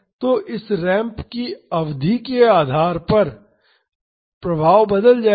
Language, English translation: Hindi, So, depending upon the duration of this ramp the effects will change